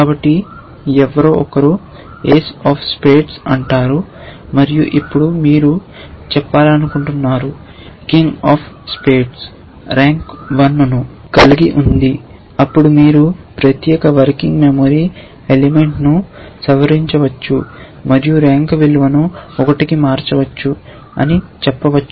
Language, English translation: Telugu, So, let us say somebody has played the ace of spades and now you want to say king of spades has rank 1 then you could say modify that particular working memory element and change the rand to value 1 that is all